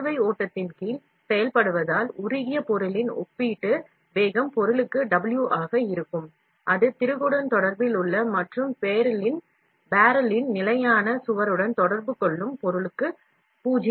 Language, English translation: Tamil, Since we are operating under drag flow, the relative velocity of the molten material will be W for the material, that is in contact with the screw and 0 for the material in contact with the stationary wall of the barrel